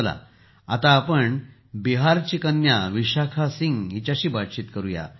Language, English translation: Marathi, Come, let's now speak to daughter from Bihar,Vishakha Singh ji